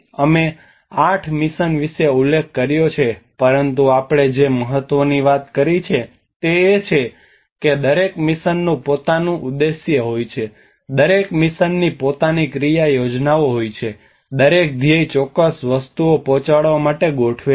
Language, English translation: Gujarati, We mentioned about these eight missions, but the important thing one we have to do is every mission is have their own objectives, every mission has their own action plans, every mission has set up to deliver certain things